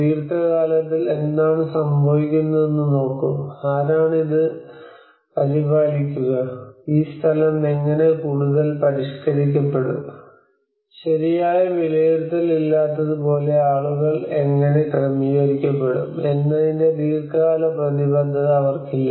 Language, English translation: Malayalam, So long run what happens, who will take care of it, so they do not have long run commitments of how this place will get modified further, how people get adjusted to it like there is no proper evaluation